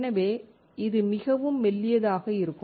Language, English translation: Tamil, So, it is extremely thin